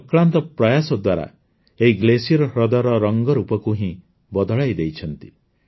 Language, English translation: Odia, With his untiring efforts, he has changed the look and feel of this glacier lake